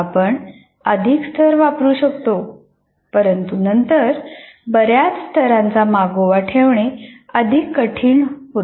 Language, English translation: Marathi, You can put more levels, but then it becomes more difficult to kind of keep track of that